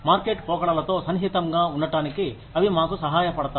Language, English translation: Telugu, They help us stay in touch, with the market trends